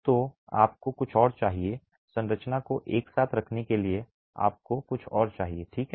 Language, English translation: Hindi, So you need something else, you need something else to keep the structure together